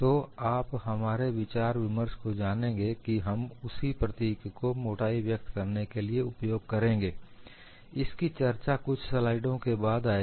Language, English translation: Hindi, So, you would find our discussion, we would use the same symbolism to denote the thickness which will come a few slides later